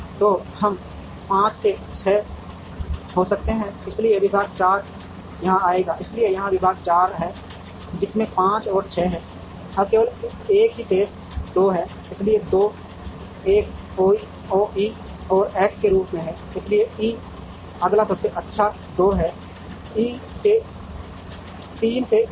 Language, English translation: Hindi, So, we could have 5 into 6, so department 4 will come here, so this is department 4 with 5 and 6, now the only one that remains is 2, so 2 as an O E and X, so E is the next best 2 to 3 is E